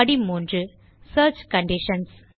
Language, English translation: Tamil, Step 3 Search Conditions